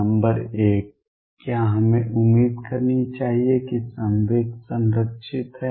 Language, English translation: Hindi, Number 1, should we expect that momentum is conserved